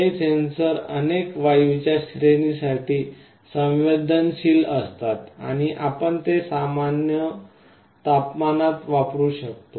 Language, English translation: Marathi, These sensors are sensitive to a range of gases and you can use them in room temperature